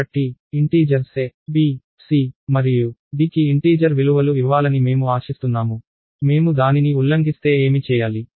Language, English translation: Telugu, So, I expect integers a, b, c and d to be given integral values, what if I violate that